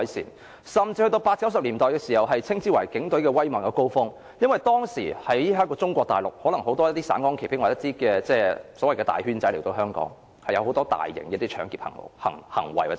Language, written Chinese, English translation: Cantonese, 在1980年代、1990年代更可稱為警隊威猛的高峰期，因為當時中國大陸很多"省港旗兵"或"大圈仔"來港犯案，涉及很多大型搶劫罪行。, The period between 1980s and 1990s could be regarded as the heyday of the Police Force . Some gangsters from Mainland China had committed a number of large - scale robberies in Hong Kong during that period of time when the number of police officers on routine patrol was insufficient